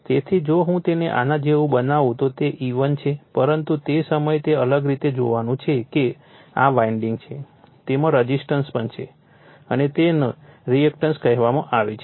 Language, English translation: Gujarati, So, if I make it like this it is E1 right, but at that time you have to see you know different way that this is the winding also has your resistance as well as that your what you call reactance right